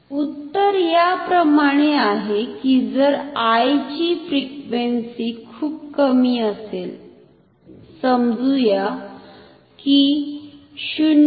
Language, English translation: Marathi, The answer is like this, say if the frequency of I is very low, say like 0